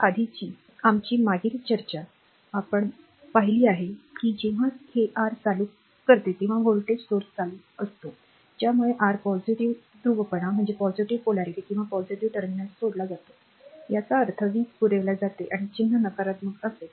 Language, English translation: Marathi, Now, previous when our previous discussion we are seen that, when that your current leaving the this is a voltage source current leaving the your positive polarity or positive terminal; that means, power is supplied and sign will be negative right